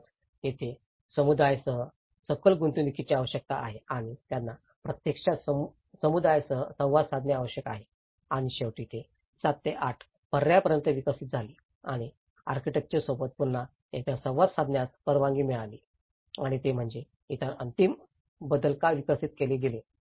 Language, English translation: Marathi, So, that is where a deeper engagement is required with the community and they have to actually interact with the community and finally, they developed over 7 to 8 alternatives and again and one to one interaction with the architects has been allowed and that is why even the other further final modifications have been developed